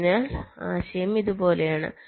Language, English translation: Malayalam, so the idea is like this